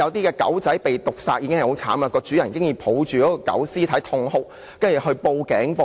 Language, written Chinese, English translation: Cantonese, 狗隻被毒殺十分悲慘，那名飼主抱着狗屍痛哭，然後向警方報案。, Following the tragic killing of her dog the dog owner cried over the dead body and reported to the Police